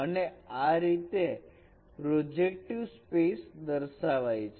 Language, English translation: Gujarati, So it is an element of projective space